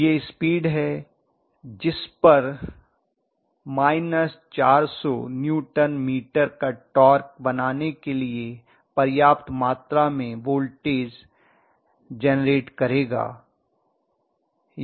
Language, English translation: Hindi, So that is the speed at which it will generate a voltage sufficient enough to create a torque of minus 400 Newton meter, that is what it means